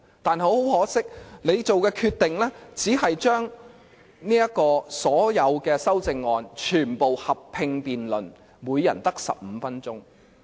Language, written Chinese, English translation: Cantonese, 但很可惜，主席所做的決定，只是將所有修正案全部合併辯論，每人只有15分鐘。, But regrettably the President decides to bundle all amendments in a joint debate limiting a debate time of 15 minutes for each Member